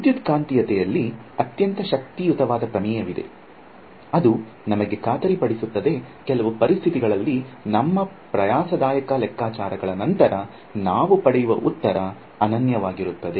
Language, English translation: Kannada, So, thankfully for us there is a very powerful theorem in electromagnetics which guarantees us, that under certain conditions the answer that we get after our laborious calculations will be unique